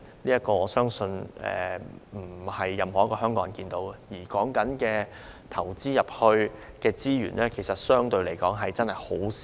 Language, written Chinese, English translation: Cantonese, 這種情況，我相信不是任何一個香港人想看到的，而為此投放的資源，相對來說亦只是很少。, Such practices I believe are not what Hong Kong people want to see it and the resource input required for this purpose is relatively small